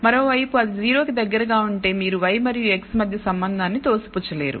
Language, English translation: Telugu, On the other hand if it is close to 0 you cannot dismiss a relationship between y and x